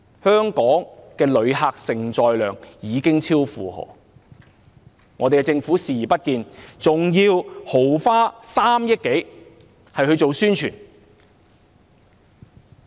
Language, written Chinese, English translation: Cantonese, 香港的旅客承載量已經超負荷，但政府卻視而不見，還要豪花3億多元來做宣傳。, Hong Kongs tourism carrying capacity is overloaded but the Government turns a blind eye to that and continues to spend more than 300 million on promoting tourism